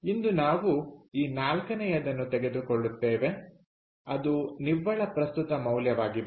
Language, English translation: Kannada, so today we will take up this fourth one, which is net present value